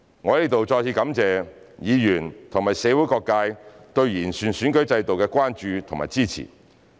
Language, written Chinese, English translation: Cantonese, 我在此再次感謝議員和社會各界對完善選舉制度的關注及支持。, I would like to thank Members and various sectors of the community for their concern and support for improving the electoral system